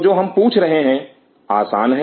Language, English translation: Hindi, So, what we are asking is simple